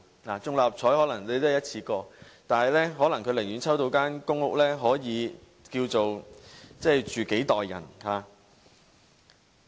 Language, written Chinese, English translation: Cantonese, 六合彩可能是一次過，但有人可能寧願抽中公屋，可以供幾代人居住。, Winning the Mark Six lottery is probably a one - off happening so many people may prefer being allocated a public housing unit for a few generations dwelling